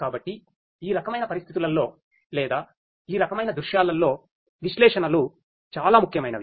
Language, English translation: Telugu, So, analytics is very important in this kind of situations or this kind of scenarios